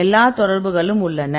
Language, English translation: Tamil, So, you have all the contacts